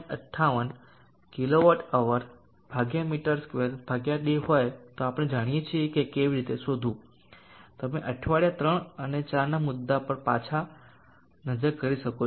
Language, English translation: Gujarati, 58 kWh/m2/day this we know how to find you can look back into the topic on week 3 and 4